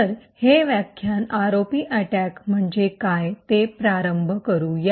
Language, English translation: Marathi, So, let us start this particular lecture with what is the ROP attack